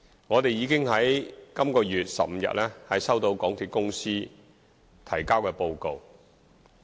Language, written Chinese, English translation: Cantonese, 我們已經在本月15日收到港鐵公司提交的報告。, We received the report submitted by MTR Corporation Limited MTRCL on 15 June